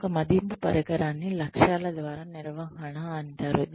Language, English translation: Telugu, Another appraisal instrument is called management by objectives